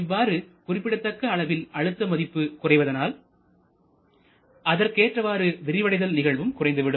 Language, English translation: Tamil, There is a significant reduction in pressure and as the pressure is reduced so the corresponding expansion work also will be much smaller